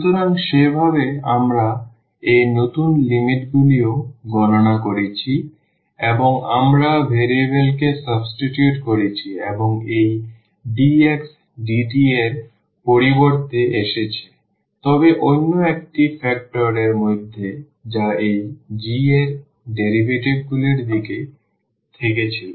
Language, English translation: Bengali, So, in that way we have also computed these new limits and we have substituted the variable and instead of this dx dt has come, but within another factor which was in terms of the derivatives of this g